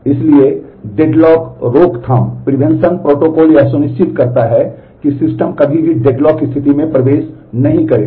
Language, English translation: Hindi, So, deadlock prevention protocol ensures that the system will never enter into the deadlock state